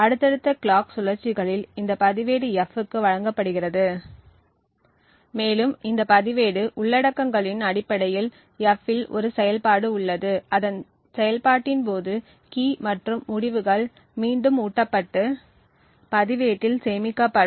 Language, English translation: Tamil, On subsequent clock cycles this register is then fed to F and there is an operation on F based on this register contents and the key and the results are fed back and stored to the register